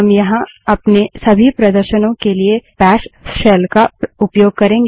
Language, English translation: Hindi, We would be using bash shell for all our demonstrations here